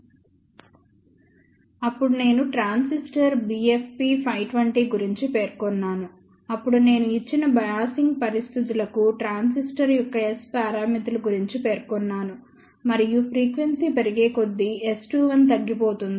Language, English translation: Telugu, Then I mentioned about the transistor b f p 520, then I had mentioned about the transistor S parameters for given biasing conditions and we had seen that S 2 1 decreases as frequency increases